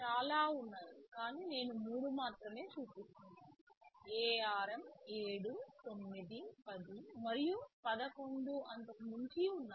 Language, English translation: Telugu, T there are many, I am only shown 3showing three, this ARM 7, 9, 10 there are 11 and beyond